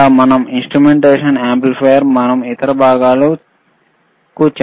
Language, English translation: Telugu, Or we have to use the instrumentation amplifier, and lot of other experiments